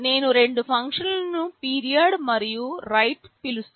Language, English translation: Telugu, I am calling the two functions period and write, 0